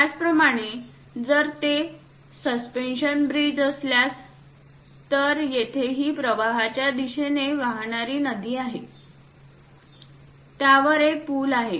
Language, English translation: Marathi, Similarly, if it is suspension bridge; so here this is the river which is coming in the stream wise direction and above which there is a bridge